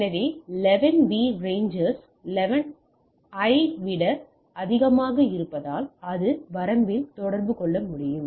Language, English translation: Tamil, So, 11 b rangers much higher than the 11 a so, it can communicate to a higher range